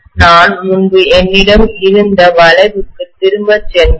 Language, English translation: Tamil, If I go back to the curve earlier what I have, right